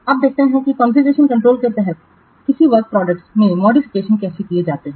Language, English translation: Hindi, Now let's see how the modifications to a work product are made under configuration control